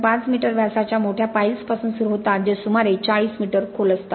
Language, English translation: Marathi, 5 meter diameter piles which are nearly 40 meters deep